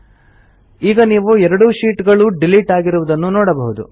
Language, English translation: Kannada, You see that both the sheets get deleted